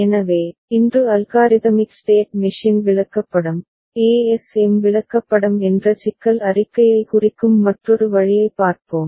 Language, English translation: Tamil, So, today we shall look at another way of representing the problem statement which is Algorithmic State Machine chart, ASM chart